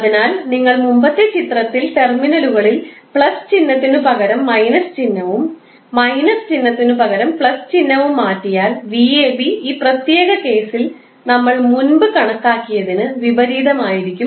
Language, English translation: Malayalam, So, you can simply say, if you replace in the previous figure plus with minus sign minus with plus sign v ab will be opposite of what we have calculated in this particular case